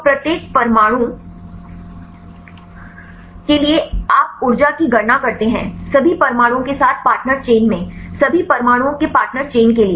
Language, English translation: Hindi, So, for each atom you calculate the energy with all atoms in the partner chain for all atoms in the partner chain